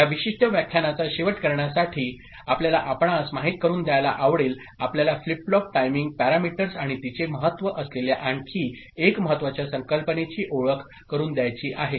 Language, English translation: Marathi, To end this particular lecture, we just would like to get you know, introduced to another important concept is that of flip flop timing parameters, its significance ok